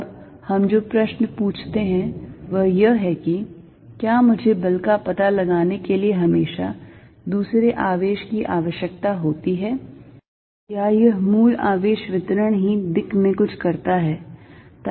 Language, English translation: Hindi, The question we ask now is, is it that I always need the other charge to find the force or this is original charge distribution itself does something in the space